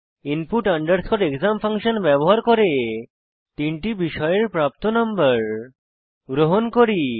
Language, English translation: Bengali, Now we are using input exam function to accept the marks of three subject